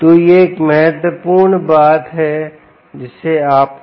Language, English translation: Hindi, um, so this is one important thing which you have to note